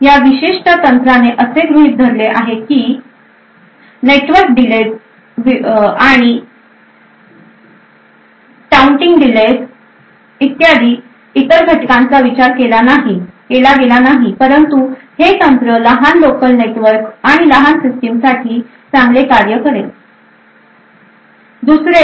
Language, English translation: Marathi, While this particular technique assumes that other factors like network delays and touting delays and so on are not considered, this technique would work quite well for small systems with small local networks